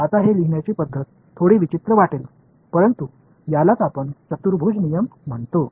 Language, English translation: Marathi, Now, this way of writing it might look a little strange, but this is what we call a quadrature rule